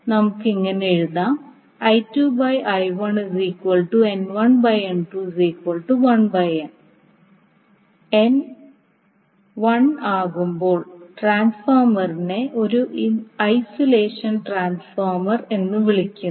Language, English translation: Malayalam, So when N is equal to one, we say transformer is called as a isolation transformer